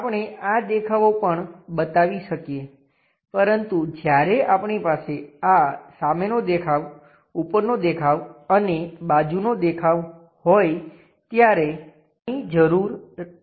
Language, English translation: Gujarati, We can show these views also, but these are not required when we have this front view, top view and side view